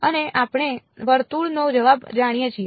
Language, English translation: Gujarati, And we know the answer for a circle